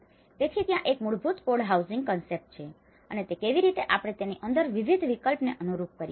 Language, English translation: Gujarati, So, there is a basic code dwelling concept and how we tailor different options within it